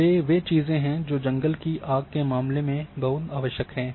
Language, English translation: Hindi, These are the things which are very much required in case of forest fire and another thing